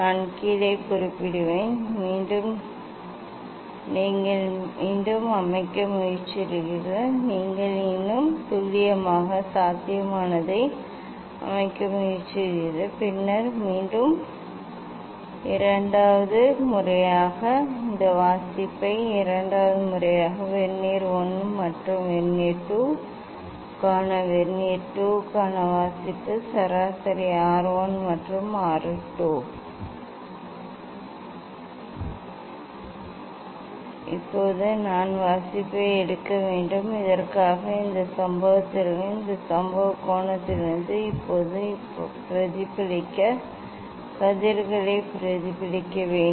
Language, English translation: Tamil, I will note down Then again just you try to set again you try to set more accurately possible just and then again take the second times this reading second times this reading for Vernier 1 and Vernier 2 for Vernier 1 find out the mean R 1 and for Vernier 2 find out the mean R 1 now, I have to take reading for the; for this; for this incident; for this incident angle, I have to take reading for the reflected rays now reflected rays